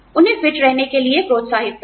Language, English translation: Hindi, Encourage them to stay fit